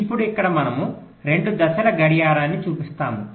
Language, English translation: Telugu, ok, now here we show two phase clocking